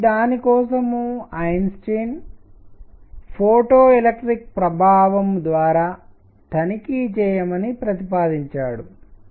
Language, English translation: Telugu, So, for that Einstein proposed checking it through photo electric effect